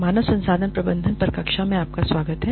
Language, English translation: Hindi, Welcome back to the class on Human Resource Management